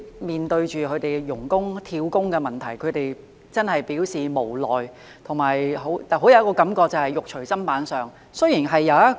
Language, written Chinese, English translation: Cantonese, 面對外傭"跳工"的問題，他們真的很無奈，而且，有一種"肉隨砧板上"的感覺。, They are really helpless and feel as if they are being held over a barrel in the face of the problem of job - hopping among FDHs